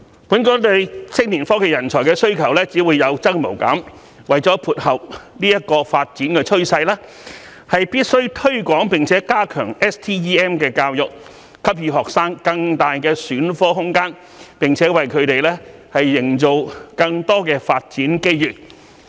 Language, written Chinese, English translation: Cantonese, 本港對青年科技人才的需求只會有增無減，為了配合這個發展趨勢，必須推廣並加強 STEM 教育，給予學生更大的選科空間，並為他們營造更多發展機遇。, Since the demand for young IT talents in Hong Kong will only continue to increase STEM education must be promoted and strengthened to cope with the growing trend so as to give students more space for subject selection and more development opportunities